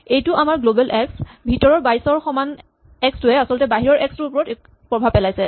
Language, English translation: Assamese, We have global x, and just make sure that the x is equal to 22 inside is actually affecting that x outside